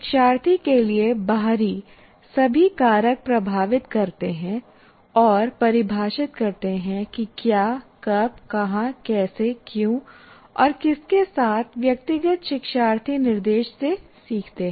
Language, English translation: Hindi, So all the factors, the external to the learner, they influence and define what, when, where, how, why and with whom individual learners learn from instruction